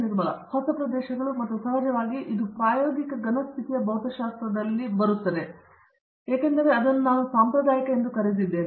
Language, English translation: Kannada, Newer areas and of course, because it falls into experimental solid state physics I would call that as a traditional as well